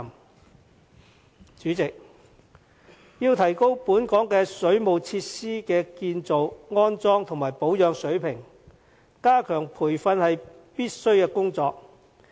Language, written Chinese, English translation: Cantonese, 代理主席，要提高本港水務設施的建造、安裝和保養水平，加強培訓是必須的工作。, Deputy President enhanced training is indispensable if we wish to raise the standards of the construction installation and maintenance of the local waterworks facilities